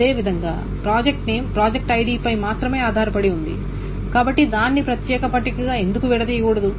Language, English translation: Telugu, Similarly, project name depends only a project ID, so why not break it up into a separate table